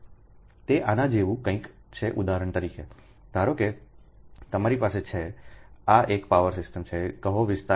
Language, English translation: Gujarati, for example, suppose you have, suppose you have this is one power system, say area one